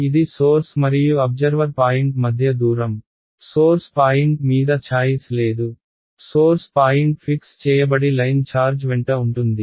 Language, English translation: Telugu, It is the distance between the source and observer point, there is no choice on the source point, source point is fixed is along the line charge